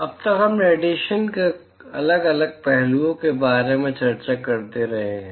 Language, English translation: Hindi, So, so far so far we have been discussing about individual aspects of radiation